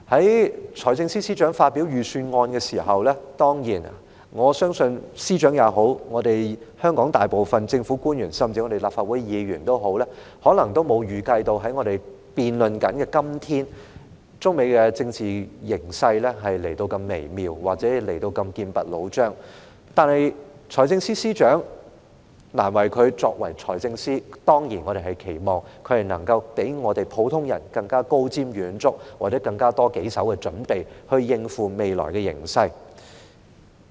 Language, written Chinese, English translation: Cantonese, 在財政司司長發表預算案時，我相信無論司長、香港大部分政府官員，甚至立法會議員也好，可能都沒預計到在我們進行辯論的今天，中美的政治形勢處於如此微妙或劍拔弩張的狀態，但財政司司長......難為他作為財政司司長，我們當然期望他能夠較普通人更高瞻遠矚，或有更多手的準備，以應付未來的形勢。, When FS delivered the Budget speech I believe neither the Secretary nor most Government officials in Hong Kong nor even Members of the Legislative Council might have anticipated that the political situation between China and the United States would be in such a delicate or tense state while we debate today but FS it is difficult for him as FS but we certainly expect him to be more forward - looking than ordinary people or better prepared to cope with the future situation